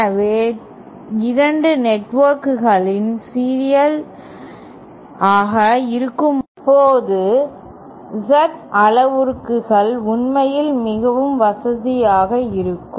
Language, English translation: Tamil, So, when 2 networks are in series, Z parameters might actually be more convenient